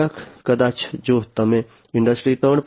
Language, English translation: Gujarati, Some maybe if you are talking about Industry 3